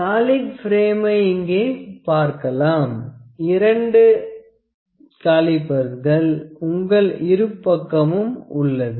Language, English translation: Tamil, You can see the solid frame here, we in which are two calipers on the both sides